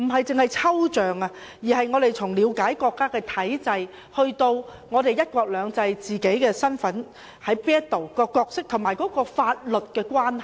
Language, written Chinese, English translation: Cantonese, 這不單是抽象的關係，而是從了解國家的體制以至"一國兩制"、自己的身份、角色及法律的關係。, This is not an abstract relationship but a very concrete one involving an understanding of the systems of our country one country two systems our own identity role and the laws